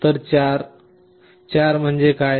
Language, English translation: Marathi, So, what is 4